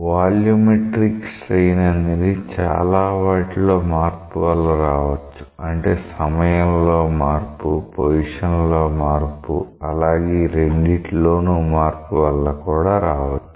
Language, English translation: Telugu, See the volumetric strain; it may be due to many things change in time change in position and a combination